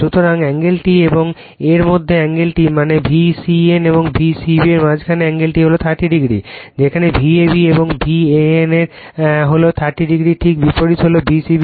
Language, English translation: Bengali, So, this is angle theta , right and angle between this thing that you are V c n and V c b is thirty degree , like your V a b and V a n is thirty degree just you have taken the opposite right V c b